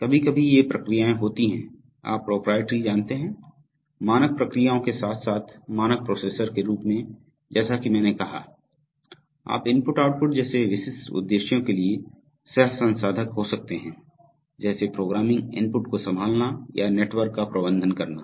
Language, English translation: Hindi, Sometimes these processes are, you know proprietary, not standard processes, along with the standard processor as I said, you could have coprocessors for specific purposes like I/O, like handling programming input etc…or managing the network